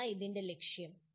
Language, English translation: Malayalam, That is the goal of this